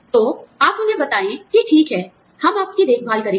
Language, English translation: Hindi, So, you tell them that, okay, we will take care of you